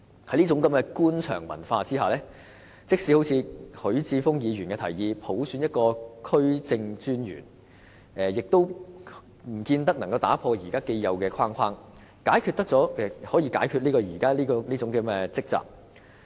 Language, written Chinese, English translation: Cantonese, "在這種官場文化下，即使如許智峯議員所建議，普選一個區政專員，亦不見得可以打破現時既有的框架，除去這種積習。, so to speak . Under such a bureaucratic culture even if District Officers are elected by universal suffrage as suggested by Mr HUI Chi - fung they do not seem to have the ability to change the existing regime and get rid of the long - standing practices